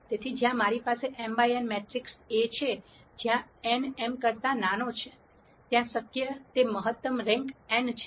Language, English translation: Gujarati, So, in cases where I have A matrix m by n, where n is smaller than m, then the maximum rank that is possible is n